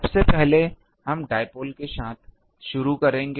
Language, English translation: Hindi, First, we will start with the dipole